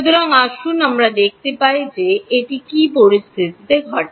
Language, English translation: Bengali, So, let us see under what conditions does that happen